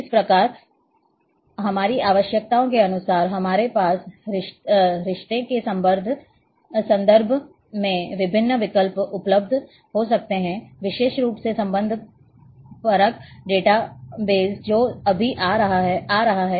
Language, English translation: Hindi, So, these these kind of as per our requirements we can have different options available in terms of relationships especially the relational data base which is just coming